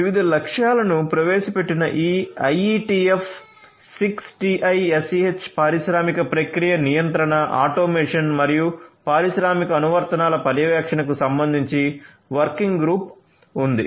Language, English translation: Telugu, So, there is this IETF 6TiSCH working group which introduced different objectives which are relevant for industrial process control, automation, and monitoring industrial applications